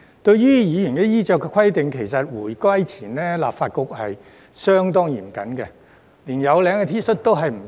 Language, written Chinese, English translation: Cantonese, 對於議員的衣着規定，其實回歸前立法局是相當嚴謹的，連有領 T 恤都不准穿着。, Concerning the dress code for Members the Legislative Council was actually quite strict before the handover of sovereignty . Even collared T - shirts were not allowed